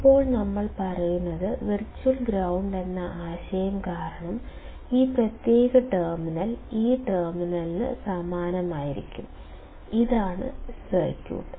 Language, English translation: Malayalam, Now, what we are saying is that this particular terminal will be similar to this terminal because of the concept of virtual ground; this is what the circuit is